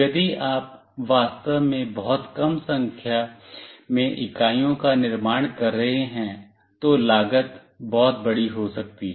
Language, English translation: Hindi, If you are really manufacturing a very small number of units, then the cost might be large